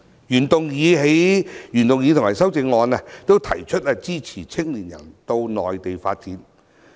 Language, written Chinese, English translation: Cantonese, 原議案和修正案均提出支持青年人到內地發展。, Both the original motion and its amendments have proposed to support young people in building their career in the Mainland